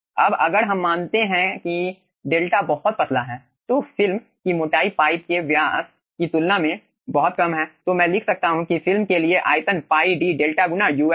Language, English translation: Hindi, okay now if you assume that delta is very thin, so the film thickness is very small compared to the pipe diameter, then i can write down that ah, the volume for the film is pi d delta into uf